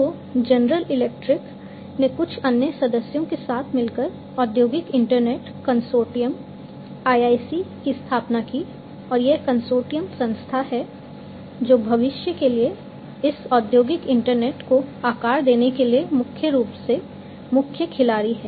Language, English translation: Hindi, So, General Electric along with few other members founded the industrial internet consortium IIC and this consortium is the body, which is largely the main player for shaping up this industrial internet for the future